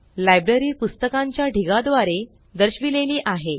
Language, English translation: Marathi, The library is indicated by a stack of books